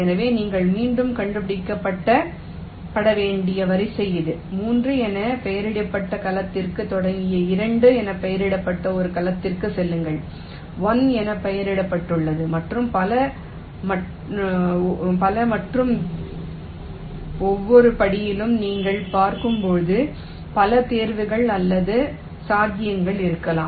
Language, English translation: Tamil, so this is the sequence you need to be back traced: starting from a cell labeled with three, you go to a cell labeled with two, labeled with one and so on, and, as you can see, at each step there can be multiple choices or possibility